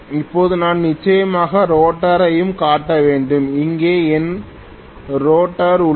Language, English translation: Tamil, Now, I have to definitely show the rotor also, here is my rotor